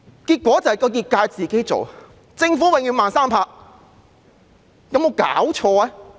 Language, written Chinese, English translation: Cantonese, 結果是，業界要自行處理，政府永遠"慢三拍"，有沒有搞錯？, As a result the industry has to handle the standardization itself because the Government is always reacting slowly